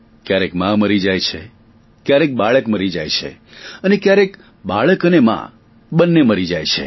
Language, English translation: Gujarati, Sometimes the mother loses her life, at times the infant does